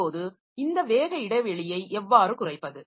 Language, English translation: Tamil, Now, how to reduce this gap, the speed gap